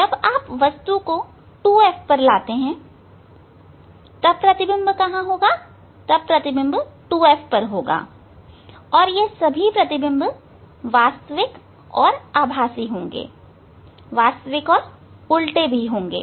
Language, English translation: Hindi, When you will bring to the object at the at the 2F then it will be at 2F image will be at 2F and all image will be real and virtual real and inverted one